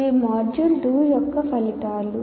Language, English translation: Telugu, That is the module 2